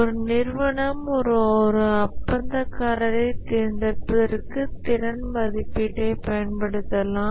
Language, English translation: Tamil, The capability evaluation can be used by an organization to select a contractor